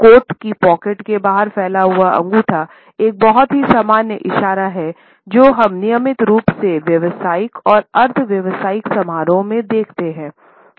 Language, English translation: Hindi, Thumbs protruding from coat pocket is another very common gesture, which we routinely come across in professional as well as in semi professional gatherings